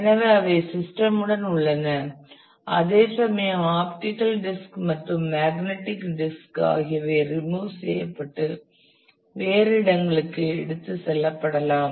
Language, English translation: Tamil, So, they exist with the system whereas, optical disk and magnetic disk can be removed and taken elsewhere